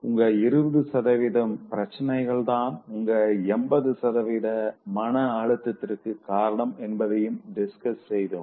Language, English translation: Tamil, By extension, we also discuss that 20% of your problems are the ones which are actually giving you 80% of distress